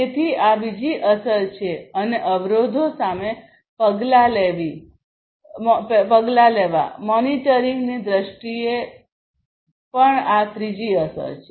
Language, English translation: Gujarati, So, this is another effect and taking action against the odds; this is also the third effect in terms of monitoring